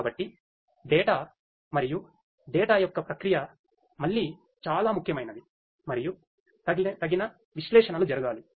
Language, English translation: Telugu, So, data and the processing of the data again is very important and suitable analytics will have to be performed